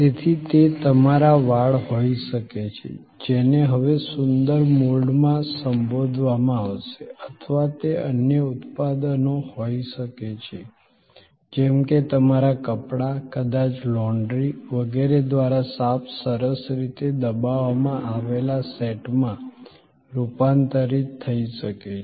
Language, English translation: Gujarati, So, that could be your hair, which will be now addressed in a prettier mold or it could be different other products like your cloths maybe converted into clean nicely pressed set by the laundry and so on